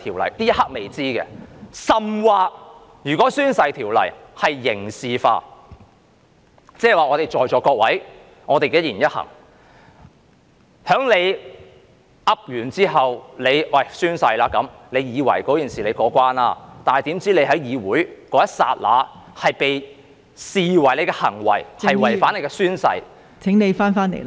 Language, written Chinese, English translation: Cantonese, 在這一刻仍未知道，甚或如果《條例》刑事化，即是說在座各位的一言一行，當大家宣誓後以為可以過關，豈料大家在議會的某一刻的行為被視為違反了誓言......, Or worse still if violation of the Ordinance would be criminalized it would mean that regarding the words and deeds of Members in this Chamber while we may think that we already passed the test after taking the oath and it has never occurred to us that what we do in the legislature at a particular moment will be considered a violation of the oath